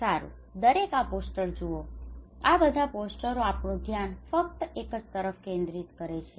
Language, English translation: Gujarati, well, look at everyone look at all these posters their focus is only one thing